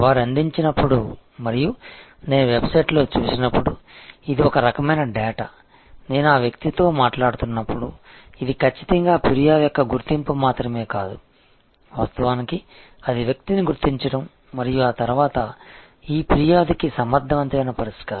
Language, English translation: Telugu, This is the kind of data when they provide that and when I see it on the website as I am talking to the person that definitely is not only the identification of the complain, but it also actually identification of the person and then, this resolving of the complain effectively